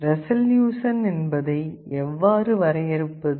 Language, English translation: Tamil, How do you define the resolution